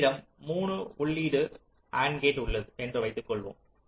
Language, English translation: Tamil, suppose i have a three input and gate